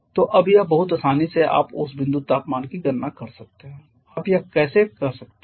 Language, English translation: Hindi, So, now it is very easily you can calculate the dew point temperature, how can you do it